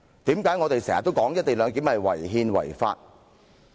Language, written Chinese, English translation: Cantonese, 為何我們經常說"一地兩檢"違憲違法？, Why do we always say that the co - location arrangement is unconstitutional and unlawful?